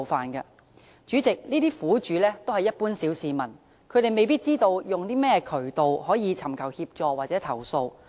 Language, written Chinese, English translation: Cantonese, 代理主席，這些苦主都是一般小市民，他們未必知道有甚麼渠道尋求協助或投訴。, Deputy President all these victims are ordinary people . They might not know through what channels they can seek assistance or lodge complaints